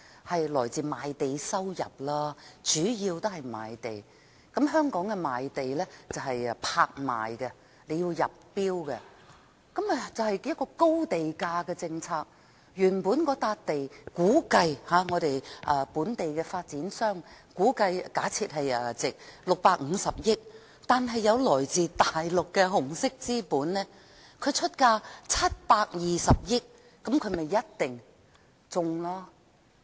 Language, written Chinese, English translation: Cantonese, 香港賣地是以拍賣方式進行的，由發展商入標，實行高地價政策，原本香港本地的發展商估計或假設某幅地的價值為650億元，但來自大陸的紅色資本出價720億元，這便一定中標。, Land in Hong Kong is sold by auction with bids submitted by the developers under a high land price policy . For a site originally evaluated at 65 billion according to the estimate or presumption of local developers in Hong Kong the red capital from the Mainland will bid for it at 72 billion and they are set to win